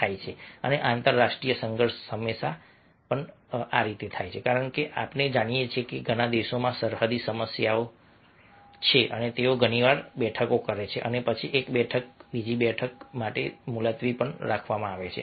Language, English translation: Gujarati, then of course some conflicts might occur, and international conflict is always there, as we know that many countries are having border issues, border problems, and they very often conduct meetings and then one meeting is postponed for another meeting